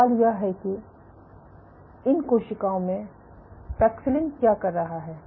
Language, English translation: Hindi, So, what is paxillin doing in these cells